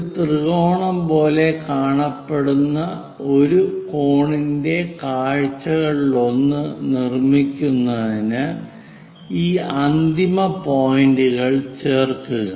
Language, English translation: Malayalam, Join these end points to construct one of the view of a cone which looks like a triangle